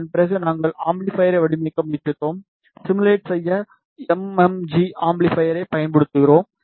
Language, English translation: Tamil, After that we tried to design the amplifier, we use the MMG amplifier to simulate